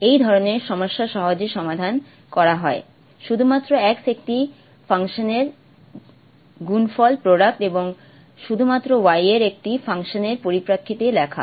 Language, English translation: Bengali, Okay, such a problem is easily solved by is written in terms of a product of a function of x alone and a function of y alone